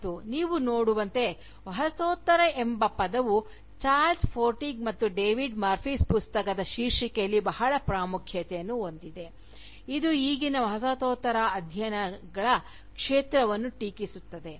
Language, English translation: Kannada, And, indeed, as you can see, the term Postcolonial, features very prominently, in the title of Charles Forsdick and David Murphy’s Book itself, which Criticises, the existing field of Postcolonial studies